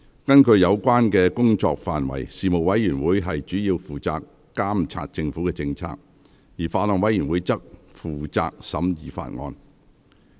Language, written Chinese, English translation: Cantonese, 根據有關的工作範圍，事務委員會主要負責監察政府政策，而法案委員會則負責審議法案。, According to their respective ambits Panels are mainly responsible for monitoring government policies while Bills Committees are responsible for scrutiny of Bills